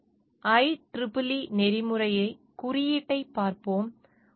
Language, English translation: Tamil, So, we will look into the IEEE code of ethics